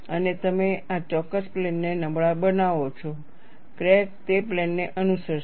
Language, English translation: Gujarati, And you make this particular plane weak, the crack will follow that plane